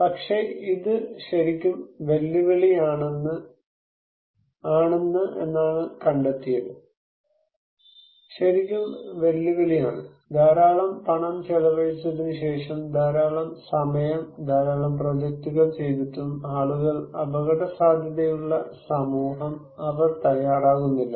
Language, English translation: Malayalam, But, what we found that it is really challenging, is really challenging, after spending a lot of money, a lot of time, running a lot of projects, people; the community at risk, they are not very willing to prepared